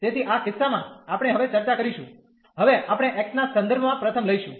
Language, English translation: Gujarati, So, in this case we will now discuss, now we will take first with respect to x